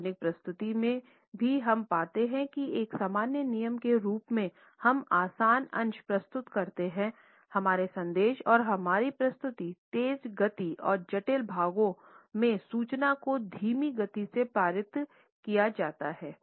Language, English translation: Hindi, Even in official presentation we find that as a general rule we present the easy portions of our message and presentation in a faster speed and the complicated parts of the information are passed on in a slow manner